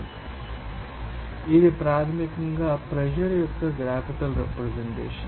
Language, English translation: Telugu, So, this is basically a graphical representation of pressure